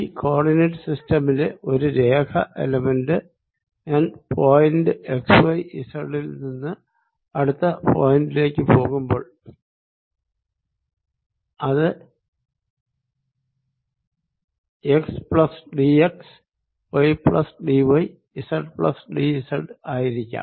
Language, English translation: Malayalam, line element in this coordinate system is when i go from point x, y, z to a next point nearby, which could be x plus d, x, y plus d, y and z plus d z